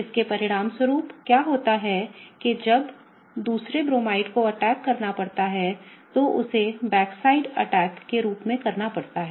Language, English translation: Hindi, As a result of which what happens is when the other Bromide has to attack, it has to perform something called as a backside attack